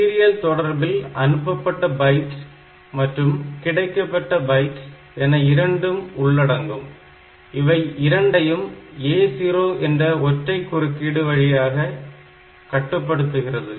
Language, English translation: Tamil, So, we have, so for serial communication we have got both byte received and byte sent, but both of them are controlled by this A 0 by a single interrupt